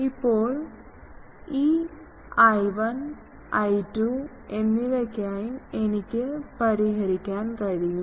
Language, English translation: Malayalam, So, now, I can solve for this I 1 and I 2